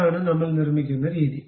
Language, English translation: Malayalam, This is the way we construct it